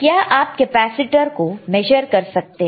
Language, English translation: Hindi, Can you measure capacitor